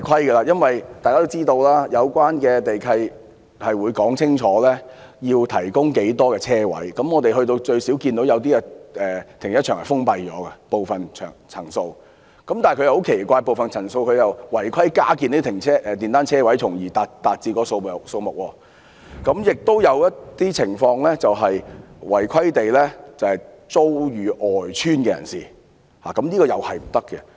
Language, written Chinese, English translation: Cantonese, 大家都知道，有關地契會說明要提供多少個泊車位，我們看到有些停車場的部分層數已經封閉，但很奇怪，部分樓層卻違規加建電單車車位，從而達至地契要求的數目；亦有些情況是把泊車位出租予邨外人士，這也是違規的。, As we all know the relevant land lease would clearly prescribe the number of parking spaces to be provided . We saw that some floors in certain car parks were closed but strangely unauthorized parking spaces for motorcycles had been added on some floors to make up the number stipulated in the land lease . There were also cases of letting parking spaces to people who are not residents of the estates